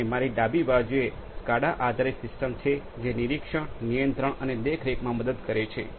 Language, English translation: Gujarati, And on my left is the SCADA based system that can help in the supervisory control and monitoring